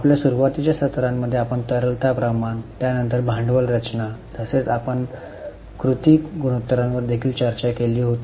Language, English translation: Marathi, In our earlier sessions we had started the discussion on liquidity ratios, then capital structure as well as we have also discussed the activity ratios